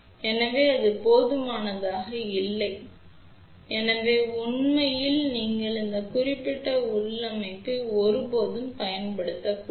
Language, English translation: Tamil, So, which is not adequate, so in fact you should never ever use this particular configuration